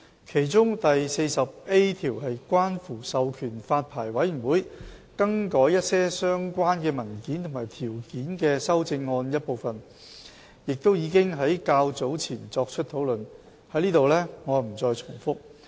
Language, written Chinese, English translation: Cantonese, 其中第 40A 條是關乎授權發牌委員會更改一些相關文件和條件的修正案的一部分，亦已經在較早前作出討論，我不再在此重複。, Among them clause 40A is part of the amendment relating to empowering the Licensing Board to vary some related documents and conditions which was discussed by the Council earlier so I will not make any repetitions here